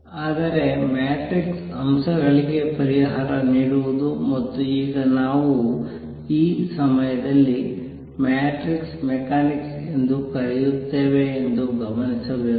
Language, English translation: Kannada, But what I should point out that solving for matrix elements and what is now we will call matrix mechanics at that time was a very tough job